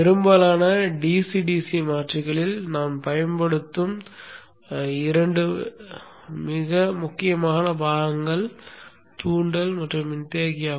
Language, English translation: Tamil, Two very important components that we will use in most DCDC converters are the inductor and the capacitor